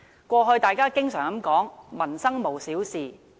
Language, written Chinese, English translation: Cantonese, 過去大家經常說，"民生無小事"。, In the past it was always said that no livelihood issue is too trivial